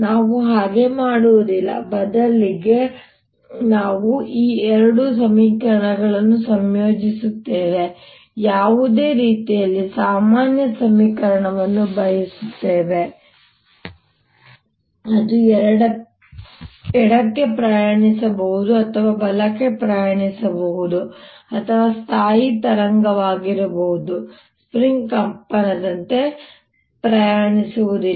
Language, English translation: Kannada, instead, we combine this two equation, write a generally equation for any way which is travelling to the left or travelling to the right of the stationary wave not travelling at all, like a string vibrating